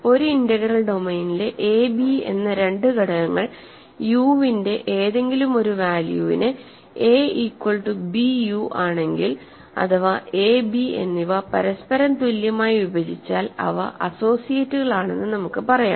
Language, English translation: Malayalam, We say that two elements a, b in an integral domain are associates if a is equal to bu for some unit u or equivalently a and b divide each other ok